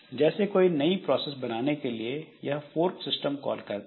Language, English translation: Hindi, Like it for creating a new process, so fork is the system call